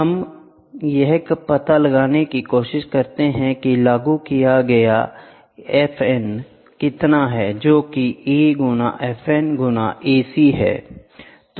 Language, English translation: Hindi, We try to find out stress F N applied is nothing but A in F N into a A C